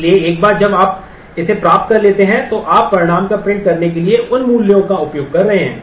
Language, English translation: Hindi, So, once you have got this you are you are using those values to print out the result